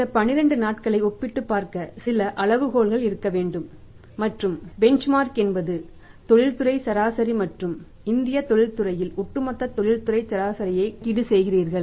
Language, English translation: Tamil, There should be some benchmark to compare these 12 days and the benchmark is the industry average and you calculate the industry average in overall in the Indian manufacturing sector